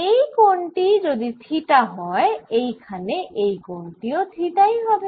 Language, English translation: Bengali, if this angle is theta, so is going to be this angel theta